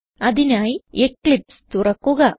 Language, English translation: Malayalam, For that let us open Eclipse